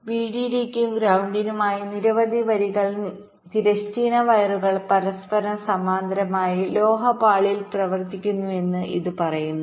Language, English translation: Malayalam, it says that several rows of horizontal wires, for both vdd and ground, run parallel to each other on metal layer